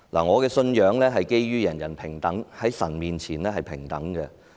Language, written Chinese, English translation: Cantonese, 我的信仰是基於在神面前，人人平等。, My belief is based on equality before God for all people